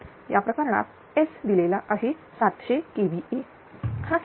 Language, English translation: Marathi, So, in that case S given 700 KVA, it is 700 KVA